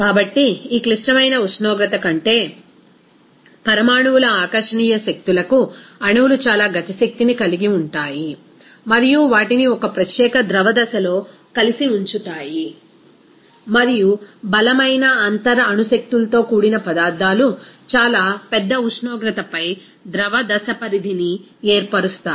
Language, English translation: Telugu, So, we can say that above this critical temperature, molecules have too much kinetic energy for the intermolecular attractive forces to hold them together in a separate liquid phase and also substances with strong intermolecular forces will tend to form a liquid phase over a very large temperature range